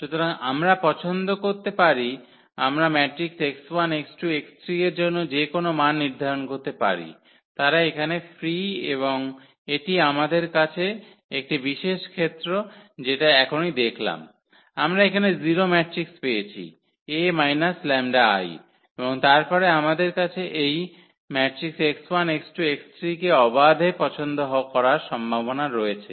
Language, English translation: Bengali, So, we can choose, we can assign any value to x 1 x 2 x 3 they are free here and that is a very special case which we have just seen now, that we got the 0 matrix here as A minus lambda I and then we have the possibility of choosing this x 1 x 2 x 3 freely